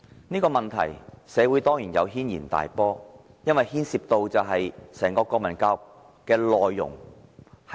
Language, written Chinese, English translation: Cantonese, 這個問題在社會上引起軒然大波，因為牽涉到整個國民教育的內容。, The issue which involved the content of national education had stirred up a hornets nest in society